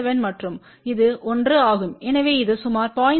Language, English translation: Tamil, 7 and this is 1, so you can say that this is approximately 0